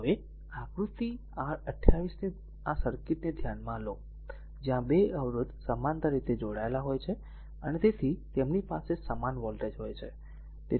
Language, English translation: Gujarati, Now, consider this circuit of figure your 28, right; Where 2 resistors are connected in parallel, and hence they have the same voltage across them